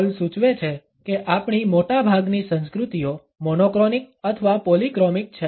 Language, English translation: Gujarati, Hall suggest that most of our cultures are either monochronic or polychromic